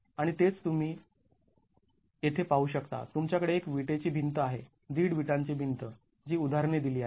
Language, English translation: Marathi, You have one brick wall, one and a half brick wall examples that are provided